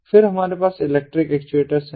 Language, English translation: Hindi, one is these electric based actuators